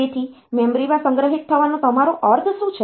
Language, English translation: Gujarati, So, what do you mean by stored in memory